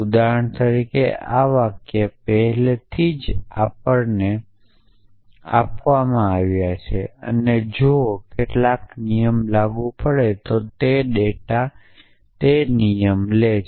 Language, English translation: Gujarati, So, for example, these sentences are already given to us essentially and if some rule is applicable data take that rule